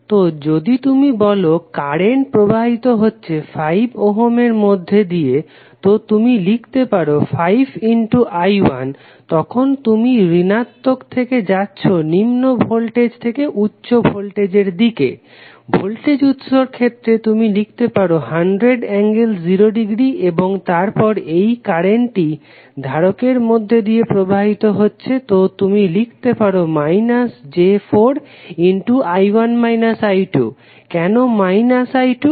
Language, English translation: Bengali, So, if you say current is flowing in 5 ohm so you can simply write 5 into I 1 then you are going from minus to lower voltage level to upper voltage level in the case of voltage source you will simply write 100 angle 0 degree for this and then this current will flow through capacitor so you will write minus j4 into I 1 minus I 2, why minus I 2